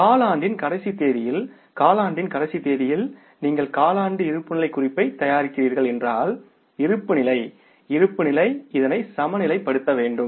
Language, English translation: Tamil, But on the last date of the quarter, that if you are preparing the quarterly balance sheet, on that last date of the quarter, the balance sheet must be in the balanced state